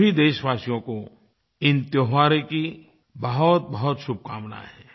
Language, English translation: Hindi, Felicitations to all of you on the occasion of these festivals